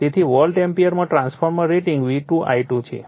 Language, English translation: Gujarati, So, transformer rating at in volt ampere = V2 I2